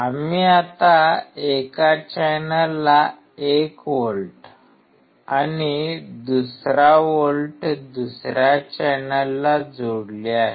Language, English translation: Marathi, We have now connected 1 volt to one channel and second volt to second channel